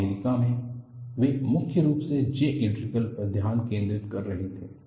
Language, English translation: Hindi, In the US, they were mainly focusing on J integral